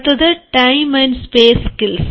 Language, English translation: Malayalam, then comes time and space skills